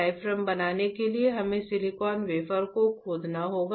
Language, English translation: Hindi, We have to etch the silicon wafer to create the diaphragm